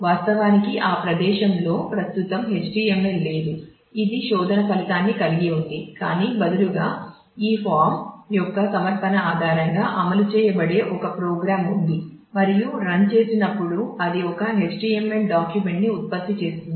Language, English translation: Telugu, Then actually at that location there is no HTML currently existing which contains the search result, but instead there is a program which will be executed based on the submission of this form and when run that will generate a HTML document